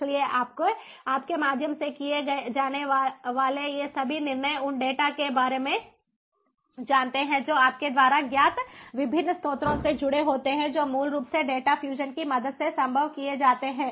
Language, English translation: Hindi, so all these decision making ah through, you know of the data that is connected from the different sources, you know that is basically made possible with the help of data fusion